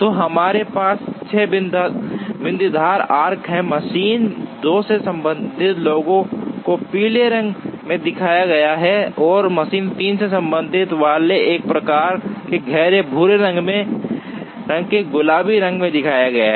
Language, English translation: Hindi, So, we have 6 dotted arcs, the ones related to machine 2 are shown in yellow, and the ones related to machine 3 are shown in a kind of a dark brownish pink color